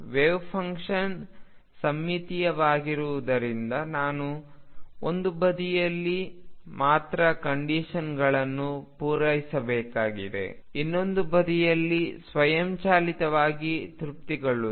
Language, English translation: Kannada, Since the wave function is symmetric I need to satisfy conditions only on one side the other side will be automatically satisfied